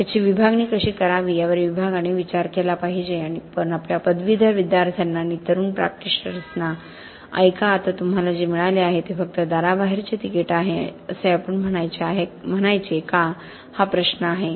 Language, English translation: Marathi, Department must take a view on how this should be divided but also it is a question of whether we should be saying to our graduating students and to young practitioners, listen, what you have got now is just the ticket out the door